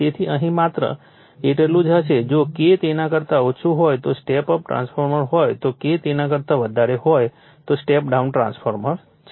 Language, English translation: Gujarati, So, will be the here only right so, if K less than that is step up transformer if K greater than that is step down transformer